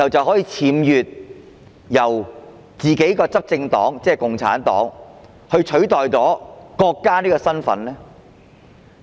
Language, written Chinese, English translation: Cantonese, 可否由自己的執政黨，即共產黨僭越取代國家的身份？, Can the ruling party ie . the Communist Party of China CPC usurp the status of the country?